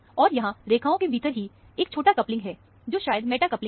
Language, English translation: Hindi, And, within the line here, there is a small coupling, which is a meta coupling, probably